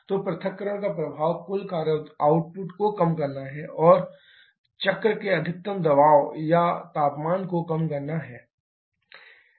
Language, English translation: Hindi, So, the effect of dissociation is to reduce the total work output and also to reduce the maximum pressure and temperature of the cycle